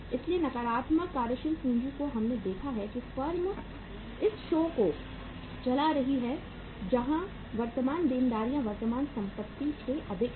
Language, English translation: Hindi, So in the negative working capital we have seen that the firms are running the show where the current liabilities are more than the current assets